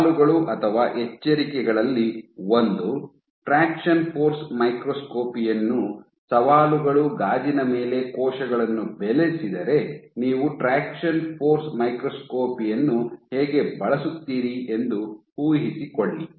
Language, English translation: Kannada, So, one of the caveats the challenges with traction force microscopy is imagine how can you do use traction force microscopy if cells are cultured on glass